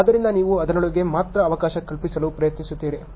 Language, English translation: Kannada, So, you try to accommodate within that only